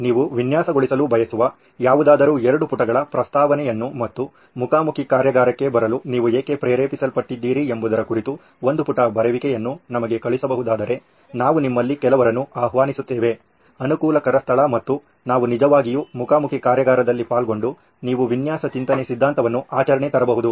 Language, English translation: Kannada, So if you can send us a 2 page proposal of something that you would like to design and a one page write up on why you are motivated to come to a face to face workshop then we will invite some of you over to a convenient location and we will actually have a face to face workshop where you can actually turn design thinking theory into practice